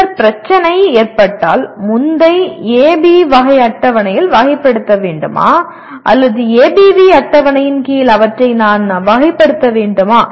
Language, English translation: Tamil, Then the issue come, should I classify them under the earlier AB taxonomy table or ABV taxonomy table